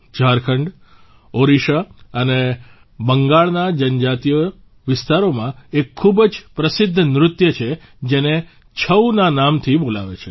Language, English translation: Gujarati, There is a very famous dance in the tribal areas of Jharkhand, Odisha and Bengal which is called 'Chhau'